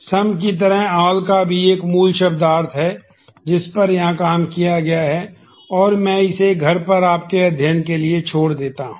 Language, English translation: Hindi, Similar to some there is a basic semantics of all which is also worked out here and I leave that to your study at home